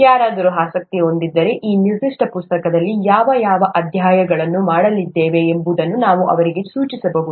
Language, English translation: Kannada, If somebody’s interested, we can point that out to them what chapters we are going to do in this particular book